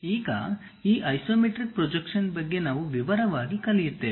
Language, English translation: Kannada, Now, we will learn more about this isometric projection in detail